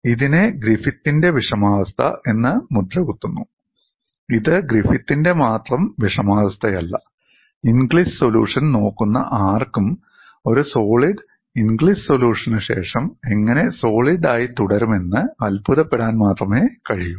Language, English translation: Malayalam, This is labeled as Griffith's dilemma, it is not only the dilemma of Griffith's, any one who looks at the solution of Inglis would only wonder how the solid remains a solid after looking at a solution